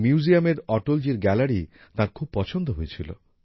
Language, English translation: Bengali, She liked Atal ji's gallery very much in this museum